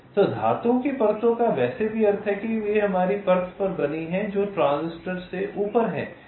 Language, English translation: Hindi, so the metal layers are anyway, means, ah, they are created on our layer which is above the transistors